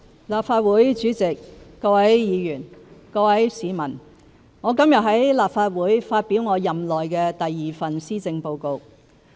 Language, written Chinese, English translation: Cantonese, 立法會主席、各位議員、各位市民，我今天在立法會發表我任內第二份施政報告。, President Honourable Members and fellow citizens today I present the second Policy Address in my term of office to the Legislative Council